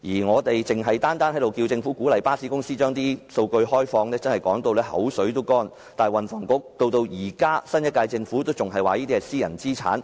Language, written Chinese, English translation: Cantonese, 我們單是要求政府鼓勵巴士公司開放數據已經說到口乾，但運輸及房屋局，以至新一屆政府仍然表示這些屬於私人資產。, Our mouths are dry from requesting the Government to encourage bus companies to open up their data but the Transport and Housing Bureau and even the Government of the new term still say that they are private assets